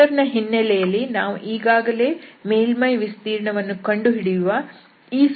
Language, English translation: Kannada, So, in the vector context what we can, we got already this formula for the evaluation of the surface